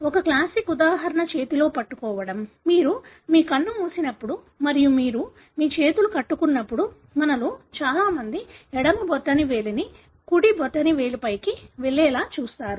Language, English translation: Telugu, One classic example is hand clasping; when you close your eye and you clasp your hands, you would find always majority of us we will have the left thumb going over the right thumb